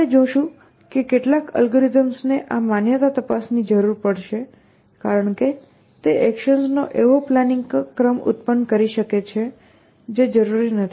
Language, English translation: Gujarati, We will see that some algorithms will need this validation check because it can produce plans sequence of actions, which are not necessarily plans